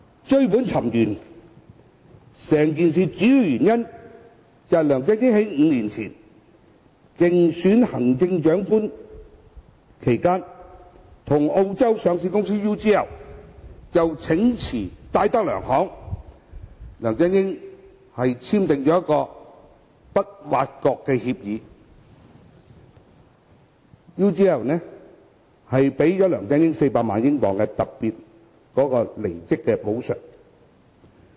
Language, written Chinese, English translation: Cantonese, 追本尋源，整件事的主要原因是梁振英在5年前競選行政長官期間，與澳洲上市公司 UGL 就呈辭戴德梁行簽訂不挖角協議 ，UGL 給了梁振英400萬英鎊的特別離職補償。, The origin of the incident was the signing of a non - poach agreement by LEUNG Chun - ying with UGL Limited UGL a listed company in Australia to resign from DTZ Holdings plc while he was standing for the Chief Executive Election five years ago under which UGL paid LEUNG a special departure compensation of £4 million